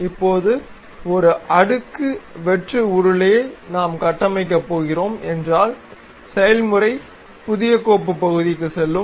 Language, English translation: Tamil, Now, a stepped hollow cylinder if we are going to construct, the procedure is go to new file part ok